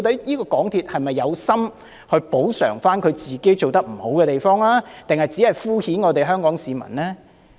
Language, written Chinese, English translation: Cantonese, 究竟港鐵公司是有心補償做得不好的地方，抑或只是敷衍香港市民呢？, So I wonder if MTRCL really has the intention of making amends for its poor performance or it just tries to pacify the public half - heartedly?